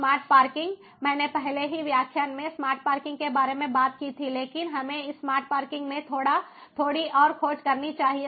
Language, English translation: Hindi, smart parking: i already spoke about smart parking in a in the previous lecture, but let us dig into this smart parking ah ah, little bit further